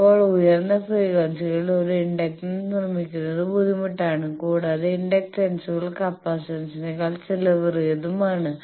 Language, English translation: Malayalam, Now, fabricating an inductance is difficult at high frequencies also inductances are costlier than capacitances